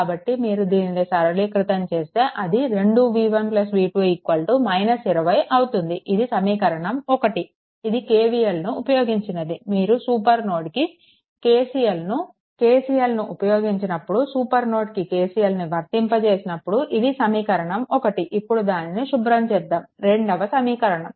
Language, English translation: Telugu, So, if you simplify this it will be 2 v 1 plus v 2 is equal to minus 20, this is equation 1, this is for your what you call this is for your KCL when you are applying KCL to the supernode when you are applying KCL to the supernode, right, this is 1 equation, now let me clear it second one is ah ah